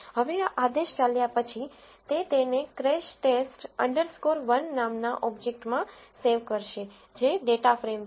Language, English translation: Gujarati, Now once this command is run, its going to save it in an object called crash test underscore 1 which is a data frame